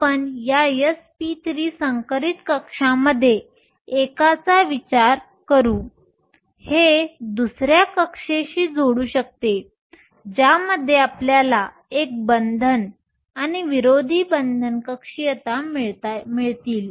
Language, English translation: Marathi, We will consider one of these s p 3 hybrid orbitals; this can bond with another orbital to give you a bonding and an anti bonding orbital